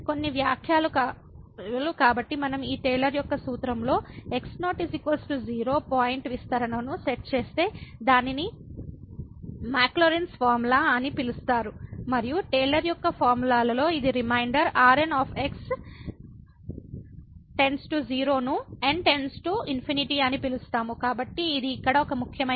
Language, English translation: Telugu, Some remarks so if we set is equal to 0 point of expansion in this Taylor’s formula then it is called the Maclaurin’s formula and in the Taylor’s formula if it is reminder goes to 0 as goes to infinity, so this is an important remark here